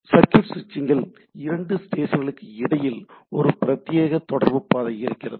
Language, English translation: Tamil, Now, circuit switching it says that there is a dedicated communication path between two station